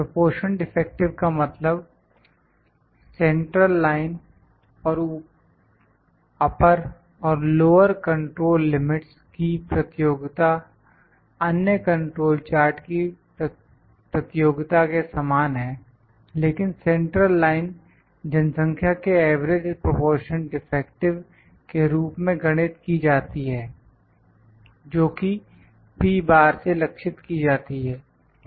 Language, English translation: Hindi, Proportion defective means, the computation of central line as well as the upper and lower control limit is similar to the computation of the other control chart, but the centerline is computed as the average proportion defective in the population that is denoted by P bar